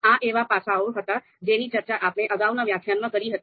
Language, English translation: Gujarati, So these aspects we were able we were able to discuss in the previous lecture